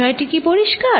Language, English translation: Bengali, Is the point clear